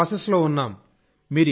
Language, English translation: Telugu, It is in the process